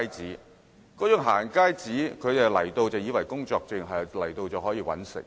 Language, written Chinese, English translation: Cantonese, 他們以為"行街紙"就是工作證，到香港後便可以"搵食"。, Some of them think that the going - out pass is the work permit and they can make a living in Hong Kong upon arrival